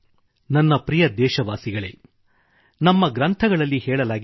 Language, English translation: Kannada, My dear countrymen, it has been told in our epics